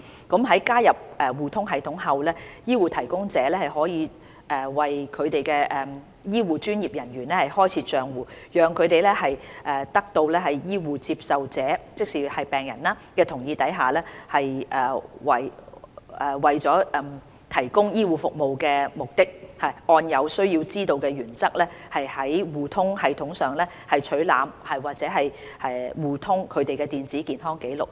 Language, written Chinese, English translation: Cantonese, 在加入互通系統後，醫護提供者可以為其醫護專業人員開設帳戶，讓他們在得到醫護接受者的同意下，為了提供醫護服務的目的，按"有需要知道"的原則，在互通系統上取覽或互通他們的電子健康紀錄。, After joining eHRSS HCPs can open accounts for their health care professionals so that they with the consent of health care recipients patients and for the purpose of providing health care can access and share the patients electronic health records on eHRSS in accordance with the need - to - know principle